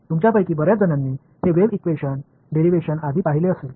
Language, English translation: Marathi, Fairly simple many of you have probably seen this wave equation derivation earlier ok